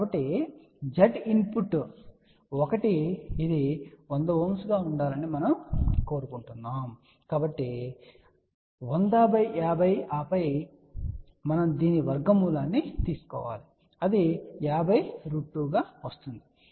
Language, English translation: Telugu, So, Z input 1 we want this to be a 100, so 100 multiplied by 50 and then we have to take square root of that which comes out to be 50 square root 2 and that comes out to be 70